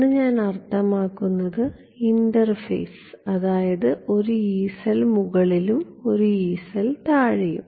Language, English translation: Malayalam, One I mean the interface one Yee cell above one Yee cell below